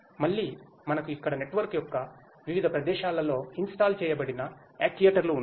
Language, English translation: Telugu, Again, we here have actuators which are installed at different locations of the network